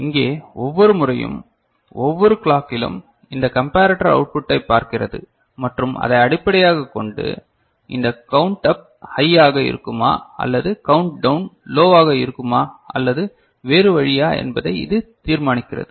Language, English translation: Tamil, Here every time, in every clock it looks at this comparator output and based on that ok, it decides whether this count up will be high and countdown will be low or the other way ok